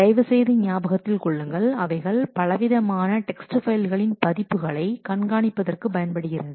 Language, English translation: Tamil, Please remember they can be used for managing different text different versions of text files